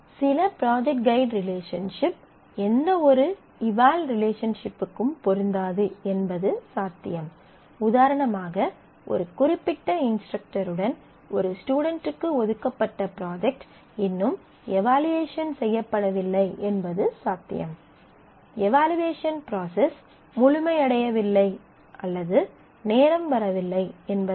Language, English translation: Tamil, So, but it is other way it is possible that some project guide relationship may not correspond to any eval relationship; that is it is possible that there is a allotted project by a student with a particular instructor which has yet not been evaluated; the evaluation process is not complete or the time has not come